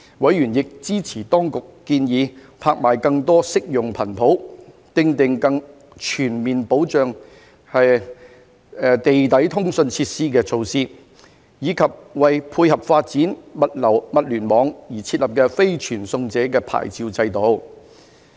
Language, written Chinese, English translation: Cantonese, 委員亦支持當局建議拍賣更多適用的頻譜、訂定更全面保障地底通訊設施的措施，以及為配合發展物聯網而設立非傳送者牌照制度。, Members were also in support of the proposed auction of more suitable spectrum the implementation of more comprehensive measures to protect underground communications facilities and the establishment of a non - carrier licence regime to support the development of the Internet of Things